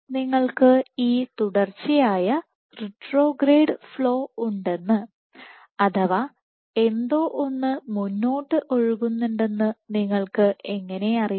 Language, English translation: Malayalam, So, how come at you know this you have this continuous retrograde flow you have something flowing ahead